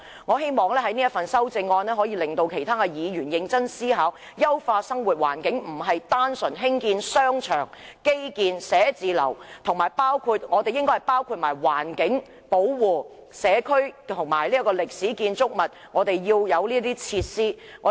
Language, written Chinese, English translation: Cantonese, 我希望我提出的修正案可以令其他議員認真思考，優化生活環境並非單純興建商場、基建、寫字樓，還應該包括保護環境、社區和歷史建築物，這些設施是必須的。, I hope that my amendment will make other Members consider the matter seriously . To improve our living environment the Government should not simply build shopping centres infrastructure and offices it should also protect our environment our communities and historic buildings which are essential facilities